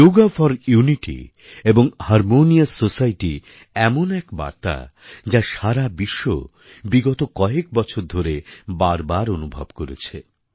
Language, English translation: Bengali, Yoga for unity and a harmonious society conveys a message that has permeated the world over